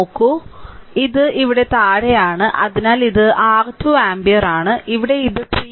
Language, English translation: Malayalam, Look plus is here at the bottom right, therefore, this is your 2 ampere; and here this 3 plus 3 6 ohm